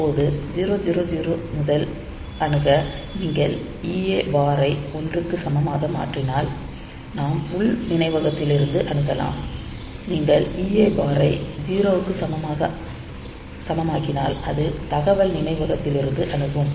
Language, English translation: Tamil, So, you are your the access is from it starts with 0000 onwards now if you make this a EA bar equal to one so; that means, we are accessing from the internal memory and if you make EA bar equal to 0 it will access from the data memory